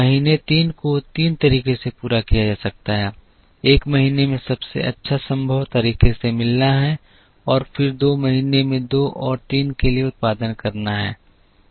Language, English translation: Hindi, Month three can be met in three ways, one is to meet month one in the best possible way and then produce for two and three in month two